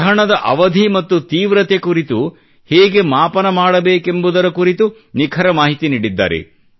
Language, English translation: Kannada, He has also provided accurate information on how to calculate the duration and extent of the eclipse